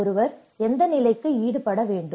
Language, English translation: Tamil, To what stage one has to be engaged